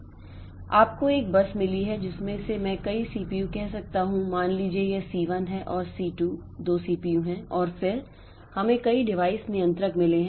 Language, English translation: Hindi, So, we have got a bus from which I can have a number of CPUs, say C1 and C2 are 2 CPUs and then we have got a number of device controller